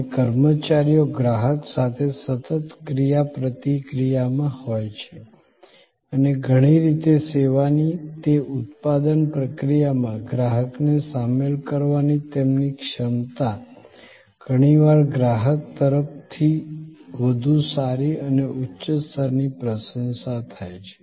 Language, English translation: Gujarati, And the personnel are in constant interaction with the customer and in many ways, their ability to involve the customer in that production process of the service often creates a much better and higher level of appreciation from the customer